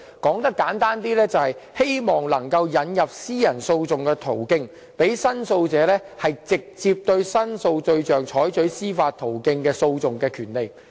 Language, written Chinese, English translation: Cantonese, 簡單而言，就是希望能夠引入私人訴訟的途徑，讓申訴者能直接對申訴對象提出司法訴訟。, Simply put we wish that the Government will provide access to justice by way of private action so that the complainant can bring direct judicial proceedings against the complaint subject